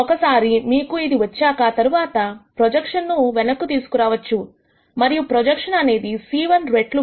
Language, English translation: Telugu, Once you get this, then you can back out the projection and the projection is c 1 times nu 1 plus c 2 times nu 2